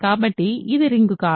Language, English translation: Telugu, So, this is not ring